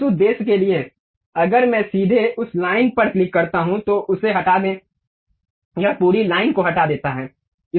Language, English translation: Hindi, For that purpose, if I just straight away click that line, delete it, it deletes complete line